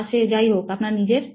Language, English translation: Bengali, Whatever it is that you own